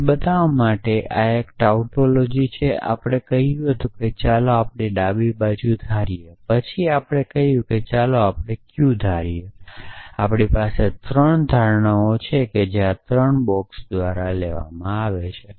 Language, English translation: Gujarati, So, to show that this is a tautology we said let us assume the left hand side, then we said let us assume q, so we have three assumptions that picked by this three boxes